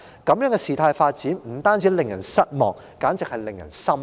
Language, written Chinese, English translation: Cantonese, 這樣的事態發展不單令人失望，簡直是令人心寒。, The development of the incident is disappointing and really terrifying